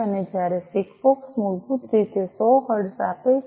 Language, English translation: Gujarati, And whereas, SIGFOX basically gives 100 hertz